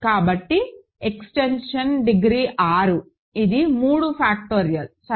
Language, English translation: Telugu, So, and the extension degree is 6 which is 3 factorial, ok